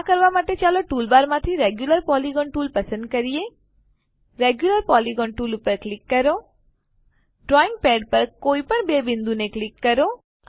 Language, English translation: Gujarati, To do this let us select the Regular Polygon tool from the tool bar click on the Regular Polygon tool click on any two points on the drawing pad